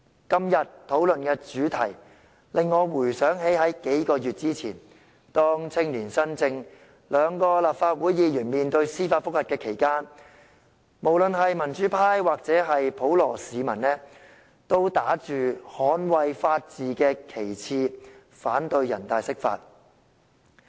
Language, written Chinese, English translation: Cantonese, 今天討論的主題，令我回想起在數個月之前，青年新政兩位立法會議員面對司法覆核時，無論民主派或普羅市民都打着捍衞法治的旗幟，反對人大釋法。, The themes of todays discussion remind me of how the pro - democracy camp or general public opposed NPCSCs interpretation of the Basic Law in defence of the rule of law when the two Legislative Council Members from Young spiration were facing the judicial review a few months ago